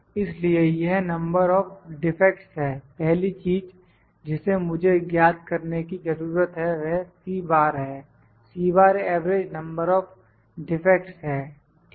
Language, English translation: Hindi, So, this is number of defects, first thing I need to calculate is C bar, C bar is the average number of defects, ok